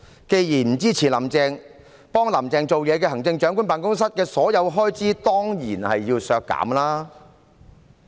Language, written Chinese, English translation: Cantonese, 既然不支持"林鄭"，協助"林鄭"做事的特首辦的所有開支，當然要削減。, Given the lack of support for Carrie LAM all the expenditure of the Chief Executives Office which assists Carrie LAM in her work should certainly be cut